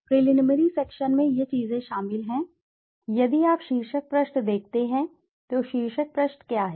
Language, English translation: Hindi, The preliminary section consists of these things if you see the title page, so what is the title page